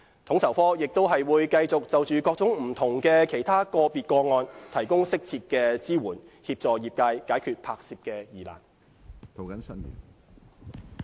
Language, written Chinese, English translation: Cantonese, 統籌科亦會繼續就着各種不同的其他個別個案，提供適切的支援，協助業界解決拍攝疑難。, FSO will also continue to provide appropriate assistance to the trade in handling other filming issues